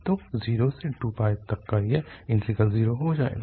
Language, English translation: Hindi, So, the integral this 0 to 2 pi will become zero